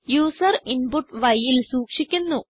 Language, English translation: Malayalam, we take the value of y as input from the user